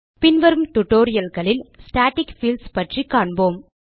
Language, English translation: Tamil, We will learn about static fields in the coming tutorials